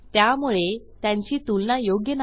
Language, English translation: Marathi, So we are not getting the comparison